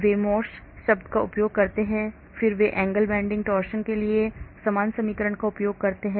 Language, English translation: Hindi, they use the Morse term then they use the same equation for the angle bending, torsion